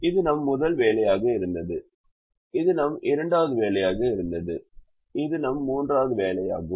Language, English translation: Tamil, this was our first assignment, this was our second assignment and this is our third assignment